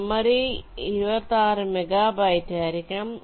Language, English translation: Malayalam, memory required will be twenty six megabytes